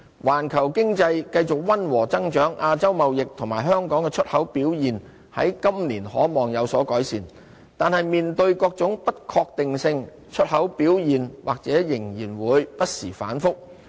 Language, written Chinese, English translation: Cantonese, 環球經濟繼續溫和增長，亞洲貿易及香港的出口表現在今年可望有所改善，但面對各種不確定性，出口表現或仍然會不時反覆。, Global economy sustains modest growth . Asias trade and Hong Kongs exports are expected to improve this year yet export performance may still fluctuate in the face of numerous uncertainties